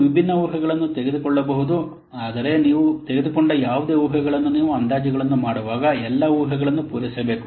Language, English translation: Kannada, You may take different assumptions, but whatever assumptions you have taken, so you have to document all the assumptions made when making the estimates